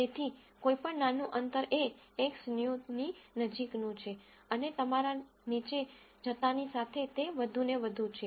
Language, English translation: Gujarati, So, any small distance is the closest to X new and as you go down it is further and further